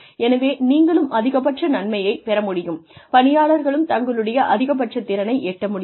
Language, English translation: Tamil, So, that you can get the maximum, get the employees to access to work to their maximum potential